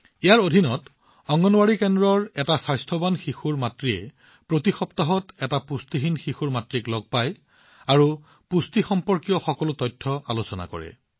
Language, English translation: Assamese, Under this, the mother of a healthy child from an Anganwadi center meets the mother of a malnourished child every week and discusses all the nutrition related information